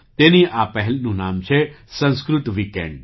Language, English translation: Gujarati, The name of this initiative is Sanskrit Weekend